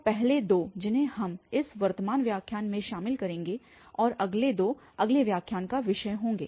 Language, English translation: Hindi, So, the first two we will be covering in this present lecture and the next two will be the topic of next lecture